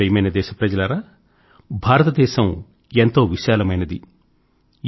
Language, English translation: Telugu, My dear countrymen, our country is so large…so full of diversity